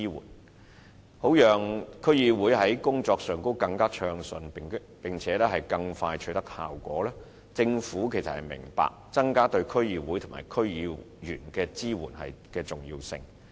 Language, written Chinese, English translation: Cantonese, 為了讓區議會的工作更順暢和更快取得效果，政府明白增加對區議會及區議員的支援的重要性。, The Government understands that enhancing the support for DCs and DC members is the key to facilitating DCs in discharging their functions more smoothly and achieve results faster